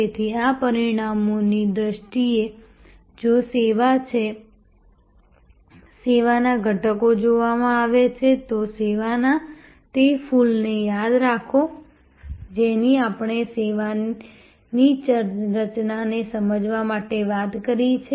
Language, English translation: Gujarati, So, this in terms of the results, if the service is, service elements are viewed, remember that flower of service which we have talked about to understand the architecture of the service